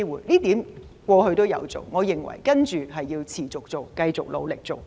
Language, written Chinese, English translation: Cantonese, 這點政府過去也有做，我認為需要持續做，繼續努力做。, The Government has done that in the past and I think it should continue to do so